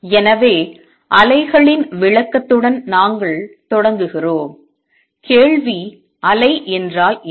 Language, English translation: Tamil, So, we start with description of waves and the question is; what is a wave